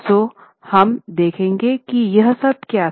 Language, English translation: Hindi, So, we will just see what it was